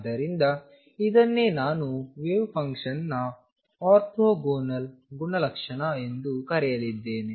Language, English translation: Kannada, So, this is what I am going to call the orthogonal property of wave function